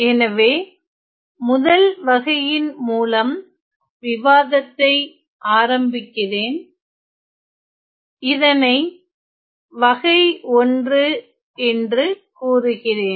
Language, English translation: Tamil, So, let me start with the first type denoted by type 1